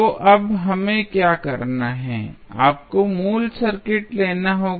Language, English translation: Hindi, So, what we have to do now, you have to take the original circuit